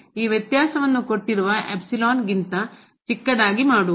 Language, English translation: Kannada, To make this difference is smaller than the given epsilon